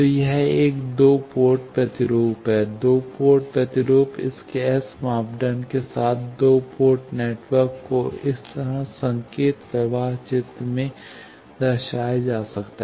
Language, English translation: Hindi, So, this is a two port representation of a, two port representation, two port network with its S parameter can be represented in the signal flow graph like this